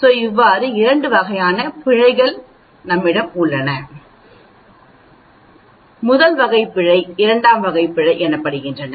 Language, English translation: Tamil, There is something called type 1 error and there is something called type 2 error